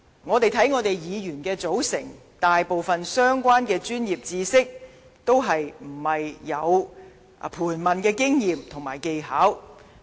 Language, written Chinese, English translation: Cantonese, 看看議員的組成，大部分相關的專業知識均沒有盤問的經驗和技巧。, Most Members do not have any professional knowledge or skills in cross - examination